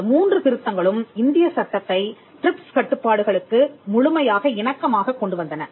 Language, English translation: Tamil, These three sets of amendment brought the Indian law in complete compliance with the TRIPS obligations